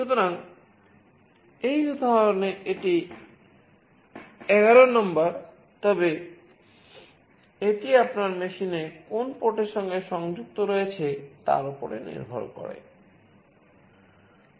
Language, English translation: Bengali, So, it depends it is 11 for this example, but it depends on to which port it is connected in your machine